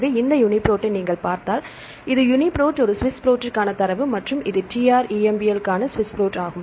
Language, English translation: Tamil, So, if you see these UniProt you can this is the data for the UniProt a SWISS PROT and this is for the TrEMBL right this TrEMBL, SWISS PROT